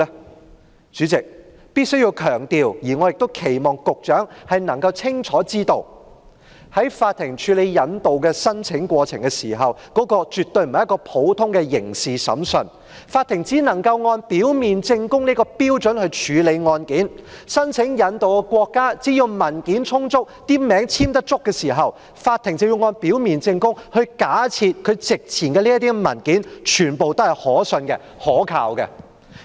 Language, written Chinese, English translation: Cantonese, 代理主席，我必須強調，我亦期望局長能夠清楚知道，法庭處理引渡申請的過程絕非普通的刑事審訊，法庭只能按表面證供這個標準來處理案件，申請引渡的國家只要文件充足，有足夠簽名，法庭便要按表面證供，假設席前的相關文件全部均可信及可靠。, Deputy President I must reiterate and I also expect the Secretary to know clearly that the process of handling an extradition application by the court is by no means an ordinary criminal trial and the court can only handle the case under the prima facie principle . As long as the applicant provides sufficient and duly signed documents the court will assume all documents presented to be trustworthy and reliable under the prima facie principle